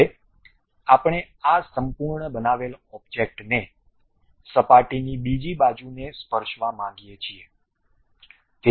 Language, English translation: Gujarati, Now, we would like to have this entire constructed object touching the other side of that surface